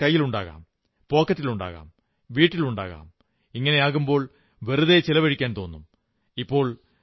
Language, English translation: Malayalam, When there is cash in the hand, or in the pocket or at home, one is tempted to indulge in wasteful expenditure